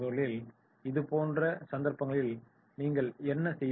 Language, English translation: Tamil, So what you will do in such cases